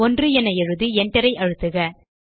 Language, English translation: Tamil, Type 1 on your keyboard and press enter